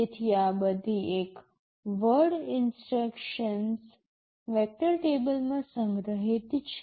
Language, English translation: Gujarati, So, these are all one word instructions are stored in the vector table